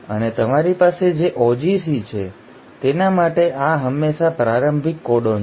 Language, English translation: Gujarati, And for the AUG you have, this is always the start codon